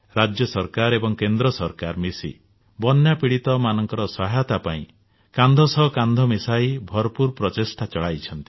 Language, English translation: Odia, Central government and State Governments are working hand in hand with their utmost efforts to provide relief and assistance to the floodaffected